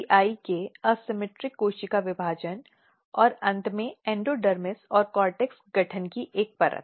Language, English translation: Hindi, the asymmetric cell division of CEI and eventually a layer of endodermis and cortex formation